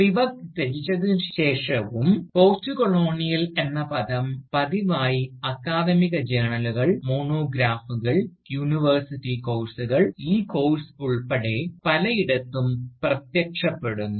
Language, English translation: Malayalam, Yet, even after being renounced by Spivak, the term Postcolonial keeps regularly appearing, in the titles of Academic Journals, Monographs, and University Courses, including this Course, our Course, which is titled, Postcolonial Literature